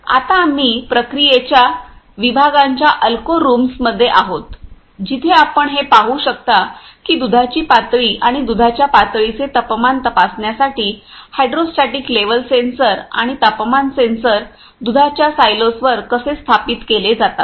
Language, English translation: Marathi, Now, we are at Alco rooms of a process sections, where we can see the how the hydrostatic level sensors and temperatures sensors are installed on milk silo to see the level of milk and temperatures of milk silos